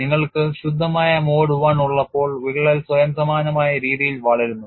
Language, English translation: Malayalam, When you have pure mode one the crack grows in a self similar manner